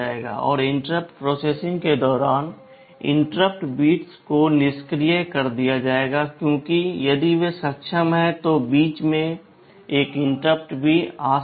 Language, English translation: Hindi, And during interrupt processing, the interrupt bits will be disabled because if they are enabled then another interrupt may come in between also